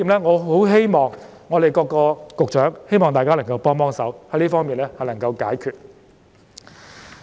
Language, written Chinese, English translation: Cantonese, 我希望各位局長能夠幫幫忙，使這方面的問題能夠得以解決。, I hope the Secretaries here will do something to help so that problems in this regard can be resolved